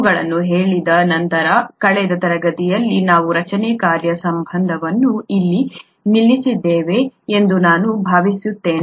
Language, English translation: Kannada, Having said these I think in the last class we stopped here the structure function relationship